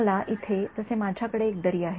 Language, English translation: Marathi, So, its like I have one valley over here right